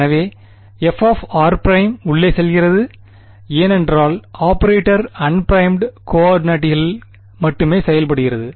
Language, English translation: Tamil, So, f of r prime goes in because the operator only acts on the unprimed coordinates right